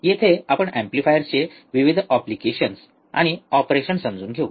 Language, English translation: Marathi, here we will be understanding the various applications and operational of amplifiers